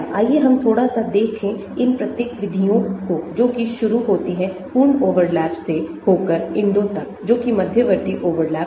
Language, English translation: Hindi, let us look at little bit on each of these methods that is the starting from complete overlap going to INDO that is the intermediate overlap